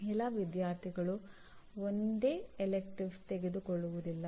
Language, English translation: Kannada, Same elective will not be taken by all students